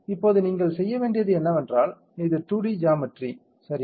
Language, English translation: Tamil, Now, what you have to do is, this is the 2D geometry correct, we need a 3D geometry